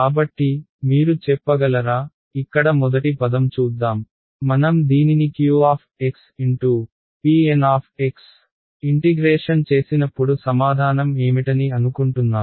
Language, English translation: Telugu, So, can you tell me, let us look at the first term over here ok, when I integrate this guy q x P N x what do you think the answer will be